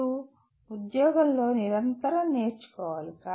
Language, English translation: Telugu, You have to learn continuously on the job